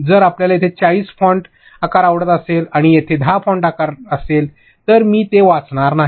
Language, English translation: Marathi, And also font size if you would have like 40 font size here and 10 here, I would not read it